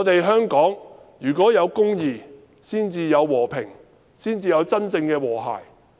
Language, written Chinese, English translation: Cantonese, 香港要有公義，才會有和平及真正的和諧。, There should be justice in Hong Kong before there can be peace and true harmony